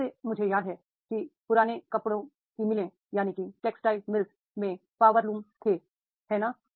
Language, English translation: Hindi, Like I remember that is in the old textile mills, they were the power looms, right